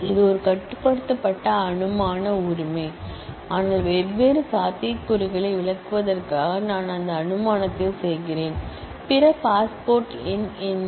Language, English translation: Tamil, This is a restrictive assumption right, but I am just making that assumption to illustrate the different possibilities; then what is the other possibility passport number